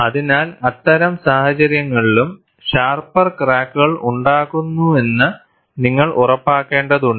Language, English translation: Malayalam, So, in that case also, you have to ensure that sharper cracks are produced